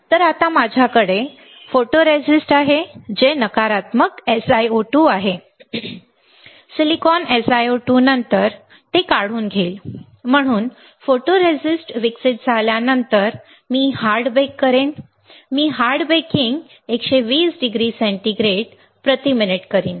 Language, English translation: Marathi, So, now, I have photoresist which is negative SiO2; silicon, SiO2 after that I will etch; so, after photoresist is developed I will do the hard bake, I will do the hard baking 120 degree centigrade per minute